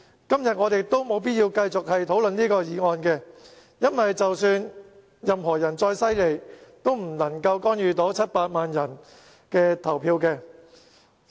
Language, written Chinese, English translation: Cantonese, 今天，我們也沒有必要就這項議案辯論，因為更厲害的人也無法干預700萬人的投票。, Today there is no need for us to debate this motion because nobody is strong enough to intervene in 7 million peoples voting decision